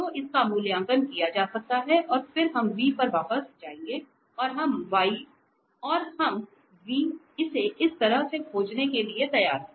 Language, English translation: Hindi, So, this can be evaluated and then we will substitute back to this v and we are ready to find this v in this way